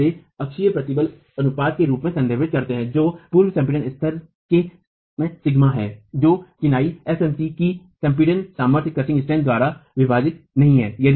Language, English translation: Hindi, We refer to this as the axial stress ratio which is pre compression level sigma not divided by the axial compress the crushing strength of masonry fmc